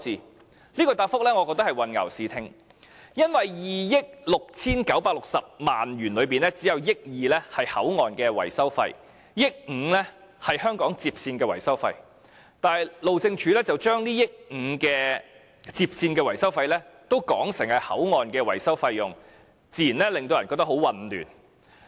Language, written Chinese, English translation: Cantonese, 我認為這答覆是混淆視聽，因為在2億 6,960 萬元中，只有1億 2,000 萬元是口岸的維修費 ，1 億 5,000 萬元是香港接線的維修費，但路政署卻將1億 5,000 萬元的接線維修費說成是口岸的維修費用，自然令人感到很混亂。, I think that this reply is an attempt to confuse because within the sum of 269.6 million only 120 million was earmarked for maintenance of the HKBCF and 150 million was for maintenance of the HKLR but the Highways Department described the 150 million maintenance cost of the HKLR as the maintenance cost of the HKBCF to the extent that people were confused